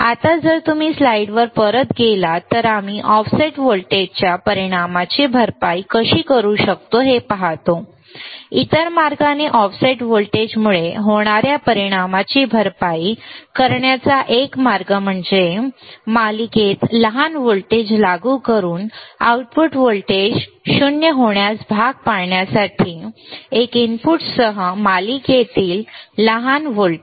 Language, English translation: Marathi, Now, if you go back to the slide what we see that how we can compensate the effect of offset voltage, to do that other way one way to compensate this for the effect due to the offset voltage is by applying small voltage in series by applying small voltages in series with one of the inputs to force the output voltage to become 0 right